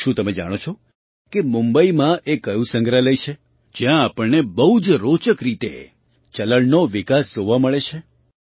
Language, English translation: Gujarati, Do you know which museum is there in Mumbai, where we get to see the evolution of currency in a very interesting way